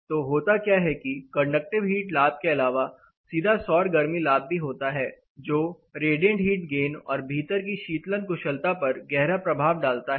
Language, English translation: Hindi, So, essentially what happens you have a lot of apart from conductive heat gain you also have a direct solar heat gain which considerably impacts the radiant gain and the cooling efficient in comfort indoor